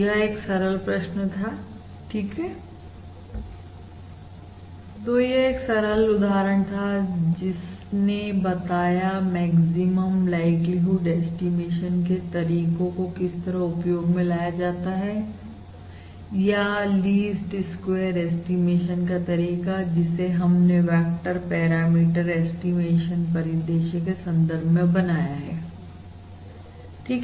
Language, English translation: Hindi, all right, So this is basically a simple problem, all right, A simple problem which illustrates the application of the maximum likelihood estimation procedure or the Least Squares estimation procedure that we have developed in the context of basically a vector parameter estimation scenario